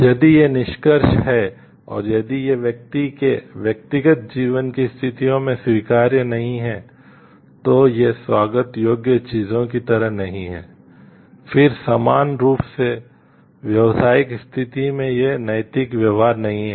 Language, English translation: Hindi, If these are the conclusions, and if these are not acceptable in persons own individual life situations, these are not like welcome things to be done then equally so, in business situation these are not ethical practices